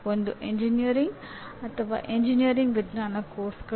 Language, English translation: Kannada, One is engineering or engineering science courses